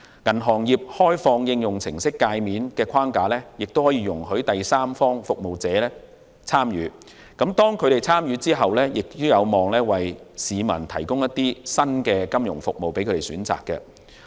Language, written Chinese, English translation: Cantonese, 銀行業開放應用程式介面的框架亦容許第三方服務者參與，當他們參與後，亦有望為市民提供新的金融服務選擇。, The Open Application Programming Interface framework for the banking industry will also allow access by third - party service providers and their access should offer options of innovative financial services to members of the public